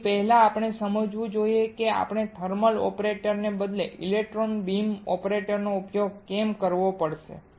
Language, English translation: Gujarati, So, first we should understand why we had to use electron beam operator instead of a thermal operator